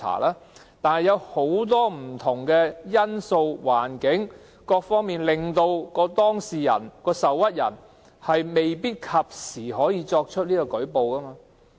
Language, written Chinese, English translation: Cantonese, 然而，受制於很多不同因素或環境，當事人或受屈人未必能及早舉報。, However constrained by circumstances or many different factors the aggrieved party may not be able to make a report early